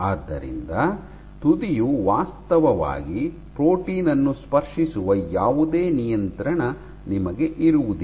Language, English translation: Kannada, So, you have no control where the tip actually touches the protein